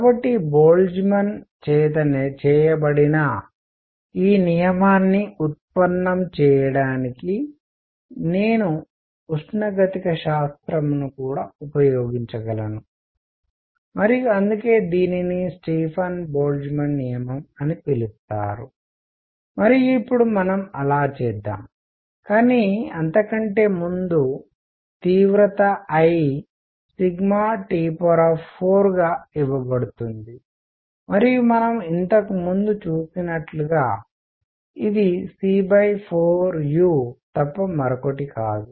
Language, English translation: Telugu, So, I can use thermodynamics also to derive this law which was done by Boltzmann and that is why it is known as Stefan Boltzmann law and let us now do that, but before that the intensity; I is given as sigma T raise to 4 and we have seen earlier that this is nothing but c by 4 u